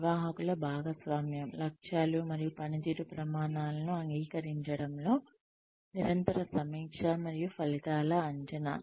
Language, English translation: Telugu, The participation of managers, in agreeing to objectives and performance criteria, the continual review and appraisal of results